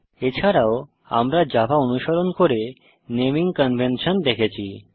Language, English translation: Bengali, We also saw the naming conventions followed in java